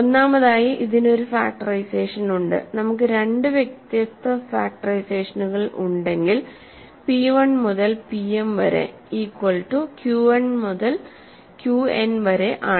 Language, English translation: Malayalam, So, first of all it has a factorization and if we have two different factorizations p 1 through p m is equal to q 1 through q n are two different factorizations